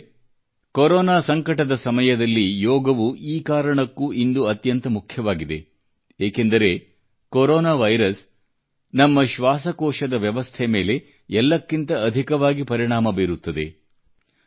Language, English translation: Kannada, during the present Corona pandemic, Yoga becomes all the more important, because this virus affects our respiratory system maximally